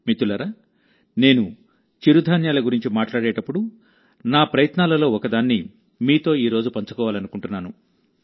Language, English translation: Telugu, Friends, when I talk about coarse grains, I want to share one of my efforts with you today